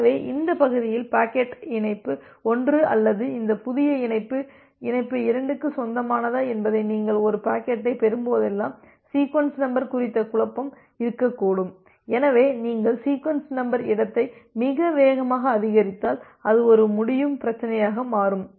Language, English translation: Tamil, So, in this region there can be still the confusion about the sequence number whenever you will receive a packet whether the packet belongs to connection 1 or this new connection, connection 2 so, if if you increase the sequence number space too fast then that can become a problem